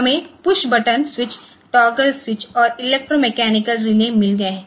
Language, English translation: Hindi, So, we have got pushbutton switch, toggle switch and electromechanical relays